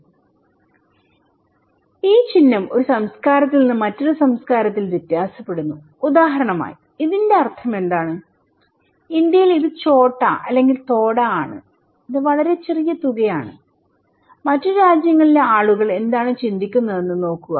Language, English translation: Malayalam, But also it varies from culture to culture this symbol, what is the meaning of this one for example, maybe in India, this is chota or thoda, it is very small amount, okay but look into other what other people in other countries they think